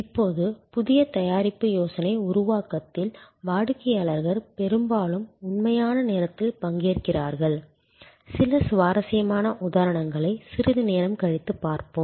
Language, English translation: Tamil, Now, customers often participate in real time in new product idea creation, we will see some interesting example say a little later